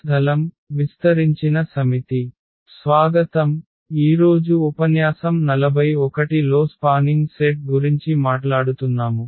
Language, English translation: Telugu, So, welcome back and this is lecture number 41 will be talking about this Spanning Set